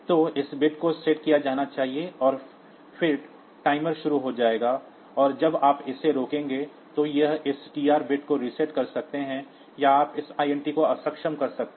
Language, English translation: Hindi, So, this bit should be set, and then the timer will start and when you were to stop it, either you can reset this TR bit or you can disable this INT